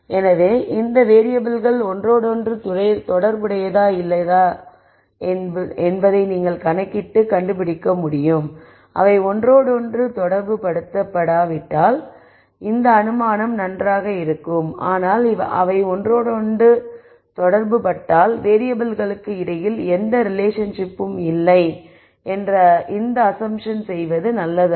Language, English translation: Tamil, So, you could calculate and nd out whether these variables are correlated or not and if they are not correlated then this assumption is fine, but if they are correlated then this assumption that no relation exists between the variables it is not a good one to make